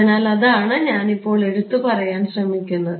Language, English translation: Malayalam, So, that is what I am trying to say